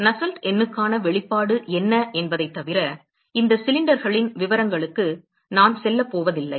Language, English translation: Tamil, I am not going go into the details of this cylinders other than it present what the expression for Nusselt number is